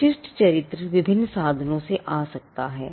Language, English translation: Hindi, The distinctive character can come from different means